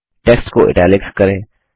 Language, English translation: Hindi, Make the text Italics